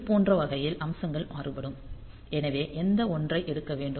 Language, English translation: Tamil, So, that way the features will vary so which 1 to take